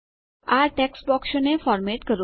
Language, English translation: Gujarati, Format these text boxes